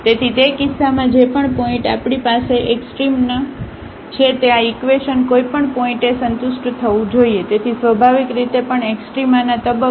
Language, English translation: Gujarati, So, in that case whatever point we have the point of extrema this equation must be satisfied at any point; so, naturally at the point of extrema as well